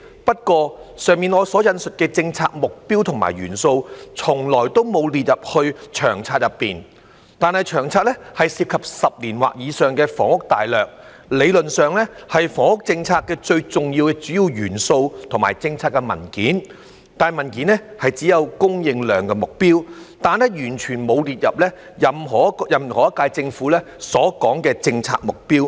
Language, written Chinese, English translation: Cantonese, 不過，以上我所引述的政策目標和元素，從來都沒有列入《長策》內，但《長策》涉及10年或以上的房屋大略，理論上是房屋政策的最重要和主要的元素和政策文件，但文件只有"供應量目標"，卻完全沒有列入任何一屆政府的政策目標。, However these policy objectives and elements that I cited above have never been included in LTHS . But LTHS involves the housing strategy for a decade or more and is theoretically the most important and central element and policy document of the housing policy . Yet in this document there is only the supply target but not the policy objectives of any previous term of the Government at all